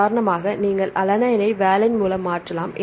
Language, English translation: Tamil, For example, if you replace alanine by valine